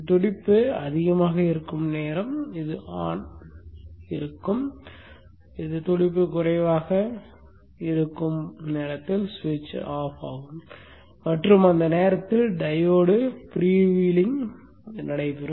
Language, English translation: Tamil, The time when the pulse is high then the switch is on, the time when the pulses are low, the switch is off and during that time the diode is prevailing